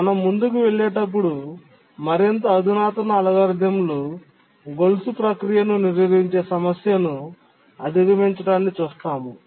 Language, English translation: Telugu, But we'll see that more sophisticated algorithms overcome the chain blocking problem